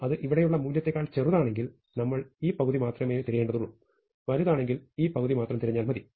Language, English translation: Malayalam, If it is smaller than the value here, then we only need to search in this half, and if it is larger then we need to search in this half